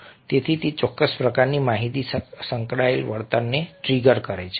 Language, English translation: Gujarati, so it triggers certain kinds of information, associated behavior